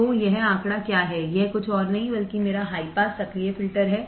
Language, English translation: Hindi, So, what is this figure, this is nothing but my high pass active filter